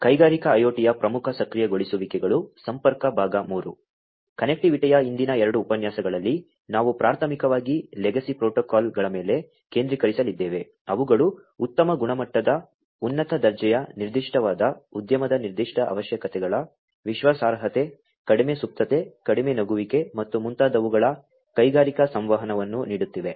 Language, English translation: Kannada, In the previous 2 lectures on Connectivity, we were primarily focusing on legacy protocols, which have been around for offering industrial communication of high quality, high grade, having specific, industry specific requirements of reliability, low latency, low jitter, and so on, but there are many, many different protocols that could be used in the industrial contexts